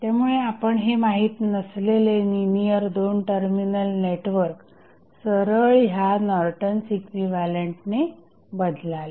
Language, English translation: Marathi, So, you will simply replace the unknown that is linear to terminal network with the Norton's equivalent